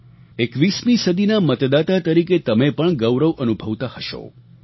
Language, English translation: Gujarati, As voters of this century, you too must be feeling proud